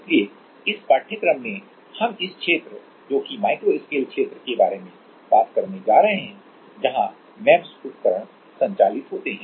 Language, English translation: Hindi, So, in this course we are going to talk about this region that micro scale region where the MEMS devices operate